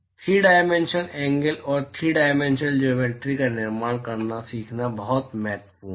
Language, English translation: Hindi, It is very important to learn how to construct the 3 dimensional angles and 3 dimensional geometries